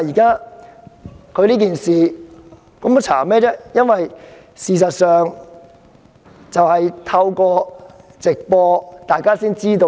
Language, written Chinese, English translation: Cantonese, 他當時的行為，大家透過直播可以知悉。, His conduct at the time was revealed to all through his live stream footages